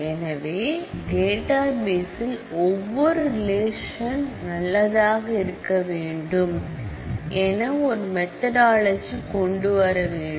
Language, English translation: Tamil, So, we need to come up with a methodology to ensure that, each of the relations in the database is good